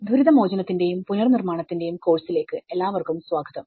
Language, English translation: Malayalam, Welcome to the course, disaster recovery and build back better